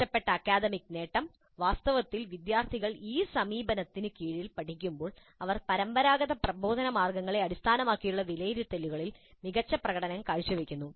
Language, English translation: Malayalam, In fact, when the students learn under this approach, they seem to be performing better in the assessments which are based on the traditional models of instruction